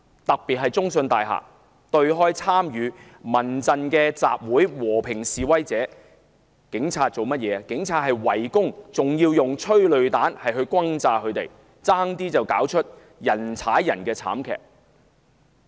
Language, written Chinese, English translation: Cantonese, 尤其在中信大廈對開參與由民間人權陣線發起的集會的和平示威者，受到警方圍攻及施放催淚彈轟炸，差點釀成人踩人慘劇。, In particular those peaceful protesters participating in an assembly organized by the Civil Human Rights Front in front of the CITIC Tower were besieged by the Police and bombarded with tear gas rounds fired by policemen which nearly caused a tragedy of stampede